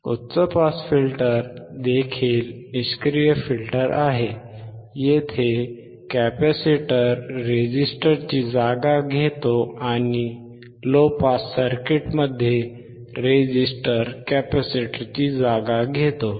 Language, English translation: Marathi, High pass filter is also passive filter; here, the capacitor takes place of the resistor, and resistor takes place of a capacitor in the low pass circuit